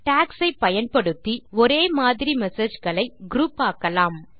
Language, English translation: Tamil, You can also use tags to group similar messages together